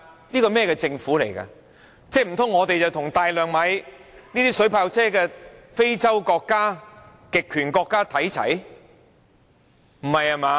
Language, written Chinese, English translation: Cantonese, 難道它想香港與大量購買水炮車的非洲國家或極權國家看齊？, Do not tell me that it wishes to bring Hong Kong on par with those African countries or authoritarian countries that make bulk purchase of water cannot vehicles